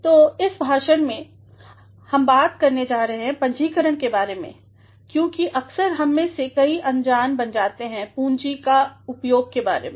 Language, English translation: Hindi, So, in this lecture, we are going to talk about the use of capitalization because at times, many of us often become unaware of using capitals